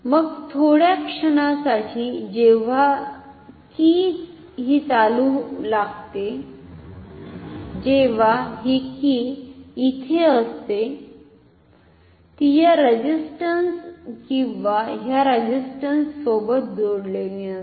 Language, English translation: Marathi, Then for a brief moment when the key is moving when the key is here the this is connected neither to this resistance nor to this resistance